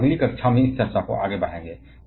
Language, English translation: Hindi, We shall be taking this discussion forward in the next class